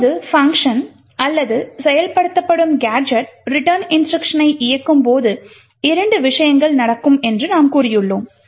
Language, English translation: Tamil, Now when the function or the gadget being executed executes the return instruction as we have said there are two things that would happen